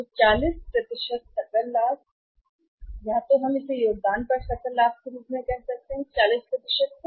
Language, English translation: Hindi, So, 40% is the gross profit or so we call it as a gross profit on contribution this is 40%